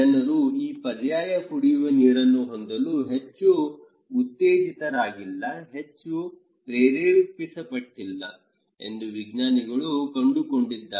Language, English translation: Kannada, The scientists found that people are not very encouraged, not very motivated to have these alternative drinking water, right